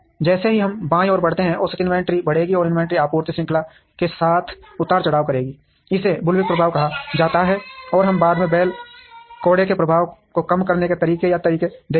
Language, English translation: Hindi, As we move towards the left the average inventory will increase, and the inventory will fluctuate along the supply chain, this is called the bullwhip effect and we would later see methods or ways to reduce the bull whip effect